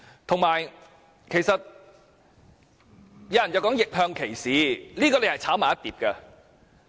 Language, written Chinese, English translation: Cantonese, 此外，有些人談到逆向歧視，這是混為一談。, Moreover some people mixed up the issue with reverse discrimination